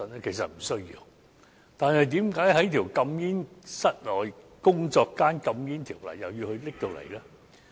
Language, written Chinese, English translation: Cantonese, 可是，為何又要在室內工作間禁煙的條例加入這項規定呢？, So why the Government has to include this provision in the ordinance which bans workplace smoking?